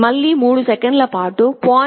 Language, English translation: Telugu, 4 wait for 3 seconds, 0